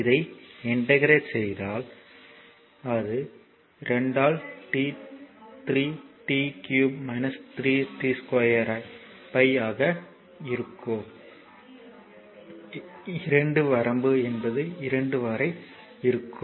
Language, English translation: Tamil, So, if you integrate this it will be 2 by 3 t cube minus t square by 2 limit is 2 to 4